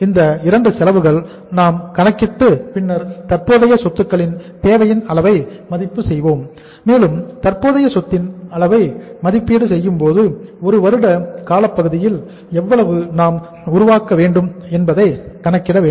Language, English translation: Tamil, These 2 costs we worked out and then we uh assessed the level of the current assets requirement and while assessing the level of the current asset how much current assets we have to build over a period of time in a period of 1 year